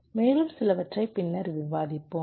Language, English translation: Tamil, we will take an example later